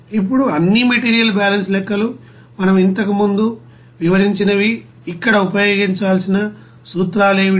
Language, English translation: Telugu, Now all material balance calculations, whatever we have described earlier, what is the principles that same principles to be used here